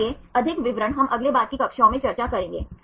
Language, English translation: Hindi, So, more details we will discuss in the next subsequent classes